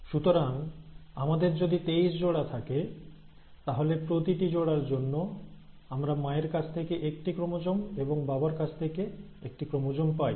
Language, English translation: Bengali, So if we have twenty three pairs; for each pair we are getting one chromosome from the mother, and one chromosome from the father